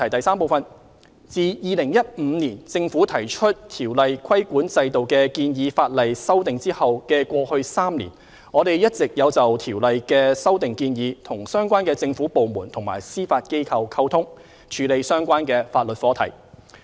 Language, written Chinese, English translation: Cantonese, 三自2015年政府提出《條例》規管制度的建議法例修訂後的過去3年，我們一直有就《條例》的修訂建議與相關政府部門和司法機構溝通，處理相關法律課題。, 3 Since the Government proposed legislative amendments concerning the regulatory framework under COIAO in 2015 we have been liaising with the relevant government departments and the Judiciary on the proposed legislative amendments to COIAO over the past three years with a view to resolving the relevant legal issues